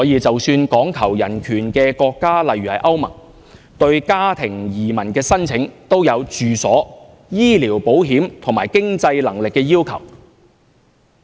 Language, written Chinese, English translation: Cantonese, 即使講求人權的國家，例如歐洲聯盟，對家庭移民的申請，也有住所、醫療保險及經濟能力的要求。, Even countries emphasizing human rights such as the European Union will impose domicile medical insurance and financial means requirements for family immigrants